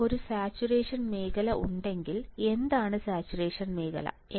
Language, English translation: Malayalam, Now, if there is a saturation region, what is situation region